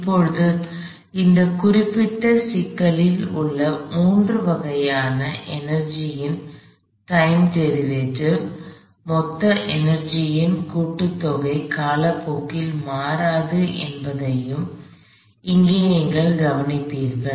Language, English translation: Tamil, Now, you will notice here as well that the time derivative of all the three forms of energy in this particular problem, the sum total energy does not change with time